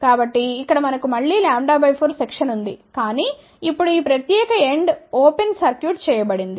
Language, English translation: Telugu, So, here we have again a lambda by 4 section, but now this particular end is open circuited